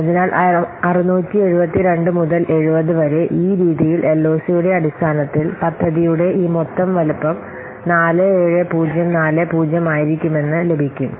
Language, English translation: Malayalam, In this way you will get that this total size of the project in terms of LOC is coming to be 47040